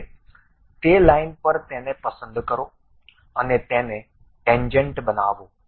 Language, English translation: Gujarati, Now, pick this one on that line make it tangent